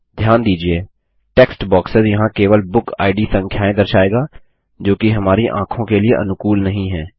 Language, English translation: Hindi, Notice that the text box here will only display BookId numbers which are not friendly on our eyes